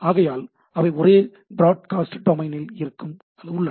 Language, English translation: Tamil, So, they are in the same broadcast domain